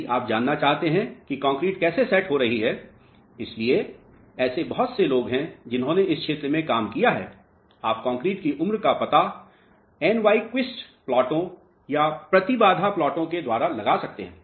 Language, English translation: Hindi, If you want to know how concrete is setting; so, there are lot of people who have worked in this area, you can find out the aging of the concrete by consecutive freezing of Nyquist plots or the impedance plots